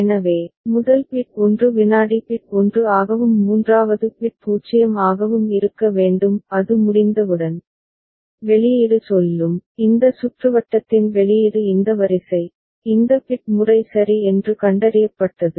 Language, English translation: Tamil, So, first bit should be 1 second bit should be 1 and third bit should be 0; as soon as it is done, then the output will say, output of this circuit will say that this sequence, this bit pattern has been detected ok